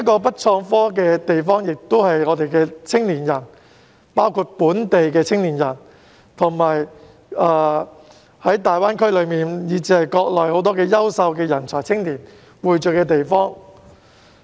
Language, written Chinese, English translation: Cantonese, "北創科"的地方，亦是青年人，包括本地青年及大灣區以至國內很多優秀人才、青年匯聚的地方。, Regarding the development of IT in the north it is also a place where young people including local young people and many outstanding talents and young people from GBA and the whole country can meet